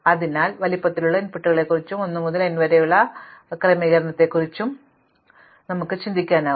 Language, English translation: Malayalam, So, we can actually think of inputs of size n to be these kind of re orderings of 1 to n or permutations of 1 to n